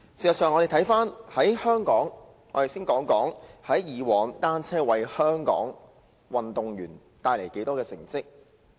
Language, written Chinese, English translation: Cantonese, 讓我們先看看單車以往為香港運動員帶來的成績。, Let us first look at the achievements made by Hong Kong athletes in cycling